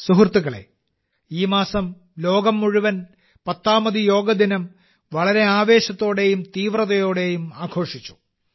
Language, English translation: Malayalam, Friends, this month the whole world celebrated the 10th Yoga Day with great enthusiasm and zeal